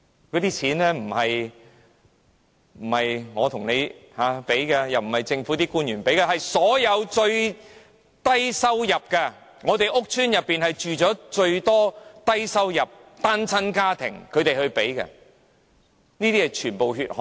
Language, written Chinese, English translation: Cantonese, 那些錢並非來自我和你，亦非來自政府官員，而是來自最低收入的一群，因為屋邨是最多低收入、單親家庭居住的地方，全部也是"血汗錢"。, The money comes not from you and me nor government officials; it comes from the lowest - income earners because public housing estates are home to the largest number of low - income earners and single - parent households . It is their hard - earned money